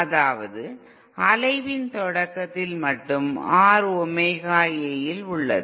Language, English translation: Tamil, That is that at the start of oscillation, our modular of R in Omega A